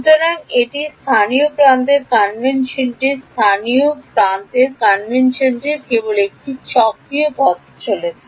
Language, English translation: Bengali, So, that is the local edge convention local edge convention was just going in a cyclic way